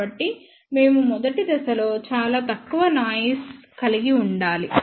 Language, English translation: Telugu, So, we must design the first stage which should have a very low noise figure